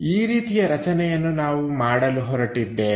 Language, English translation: Kannada, Such kind of construction what we are going to make it